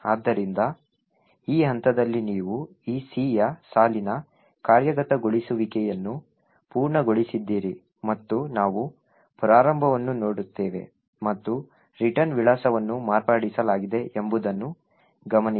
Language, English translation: Kannada, So, at this point you see that this line of C has completed executing and we would also look at the start and note that the return address has been modified